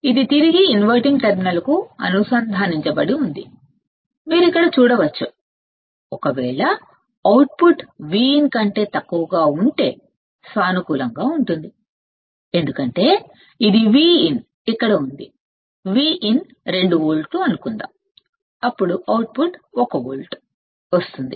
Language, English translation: Telugu, So, imagine hooking the output to the inverting terminal like this right this is connected back to the inverting terminal and you can see here, if the output is less than V in right issues positive why because this is V in is here, right, output is let us say V in is 2 volts and output gets to 1 volt